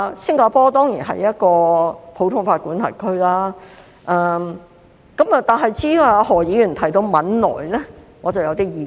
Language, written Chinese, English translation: Cantonese, 新加坡當然是一個普通法管轄區，但至於何議員提到的汶萊，我則有點意見。, Singapore is certainly a common law jurisdiction . But I do have something to say about Brunei mentioned by Dr HO